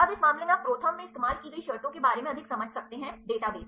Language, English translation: Hindi, Now, in this case you can understand more about the terms used in the ProTherm database right